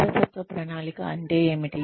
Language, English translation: Telugu, What is succession planning